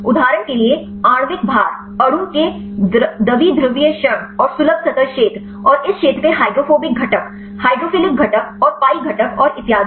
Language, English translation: Hindi, For example, molecular weight, dipole moment of the molecule and accessible surface area, and the hydrophobic component of this area, hydrophilic component and pi component and so on